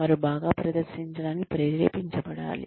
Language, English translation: Telugu, They should feel motivated to perform